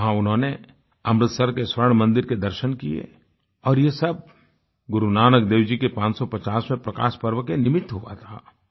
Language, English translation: Hindi, There in the Golden Temple itself, they undertook a holy Darshan, commemorating the 550th Prakash Parv of Guru Nanak Devji